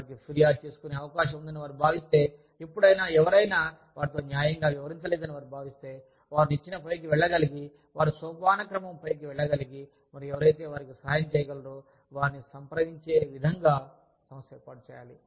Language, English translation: Telugu, If the organization ensures, that any time, they have a grievance, anytime they feel, that they have not been treated fairly, they are able to go up the ladder, they are able to go up the hierarchy, and approach people, who will be able to help them